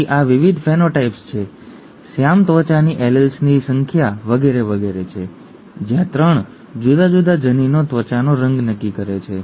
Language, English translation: Gujarati, So these are the various phenotypes, the number of dark skin alleles and so on and so forth where 3 different genes determine the skin colour